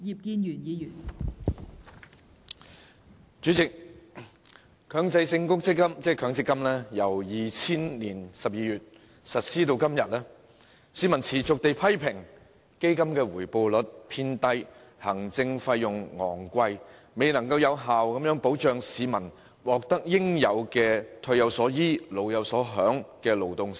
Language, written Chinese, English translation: Cantonese, 代理主席，強制性公積金計劃自2000年12月實施至今，市民持續批評基金回報率偏低，行政費用昂貴，因而未能有效保障市民的勞動成果，無法達致"退有所依，老有所享"的目標。, Deputy President since its implementation in December 2000 the Mandatory Provident Fund MPF scheme has been persistently criticized by the public for its low rates of return and exorbitant administrative fees and the resultant failure to effectively protect the fruits of their labour and achieve the goal of giving retirees a sense of support and the elderly a sense of enjoyment